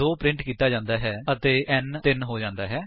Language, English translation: Punjabi, Since it is true, 2 is printed and n becomes 3